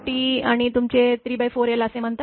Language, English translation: Marathi, 5 T and your 3 by 4 l